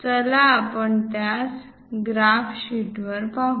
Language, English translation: Marathi, Let us look at that on the graph sheet